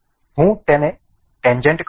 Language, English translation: Gujarati, I will make it tangent